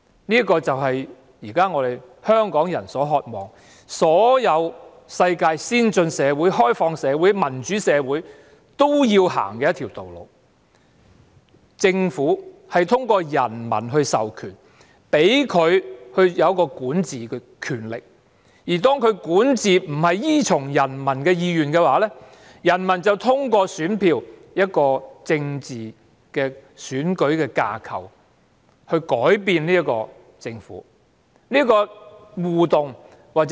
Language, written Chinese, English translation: Cantonese, 香港人現時所渴望的，是世上所有先進、開放而民主的社會皆會走的路——政府通過人民授權，賦予管治權力，而當政府的管治並不依從人民意願，人民便可通過選票，在選舉的政治架構下改變政府。, What Hong Kong people now desire is the road that all advanced open and democratic societies in the world will follow . The government is mandated by the people to govern . When its governance does not follow the will of the people the people can change the government through their votes within the political framework of the election